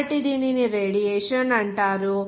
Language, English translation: Telugu, So, this called radiation